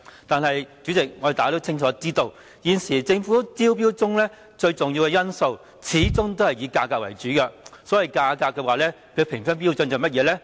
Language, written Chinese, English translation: Cantonese, 但是，主席，大家都清楚知道，現時政府招標中最重要的因素始終是以價格為主，所謂價格的評分標準是甚麼呢？, However President as we are all know clearly the most important factor in Government tenders is always the price . What is this so - called price - oriented scoring scheme about?